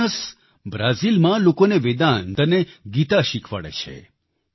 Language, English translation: Gujarati, Jonas teaches Vedanta & Geeta to people in Brazil